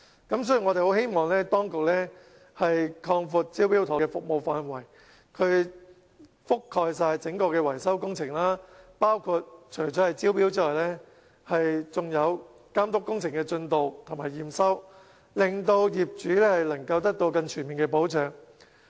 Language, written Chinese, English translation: Cantonese, 所以，我們希望當局擴闊"招標妥"的服務範圍，完全覆蓋整個維修工程，除招標外，更監督工程進度和驗收，令業主獲得更全面的保障。, Such arrangements do give an impression that the Government has not done enough . Therefore we hope the authorities can broaden the scope of the Smart Tender service so that in addition to tender invitation it will cover the entire building repair process including supervision inspection and acceptance so as to offer total protection to owners